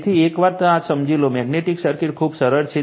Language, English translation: Gujarati, So, once you understand this, you will find magnetic circuit is very simple right